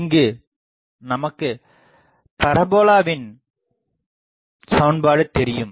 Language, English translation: Tamil, Now, parabola equation we know